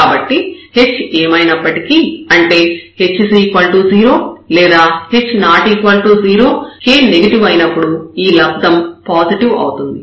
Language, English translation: Telugu, So, whatever h is h may be 0 or h may be non zero, but when k is negative this product is going to be positive